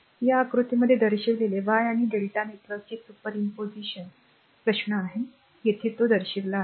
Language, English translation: Marathi, Now, question is superposition of y and delta networks is shown in figure this thing here; here it is shown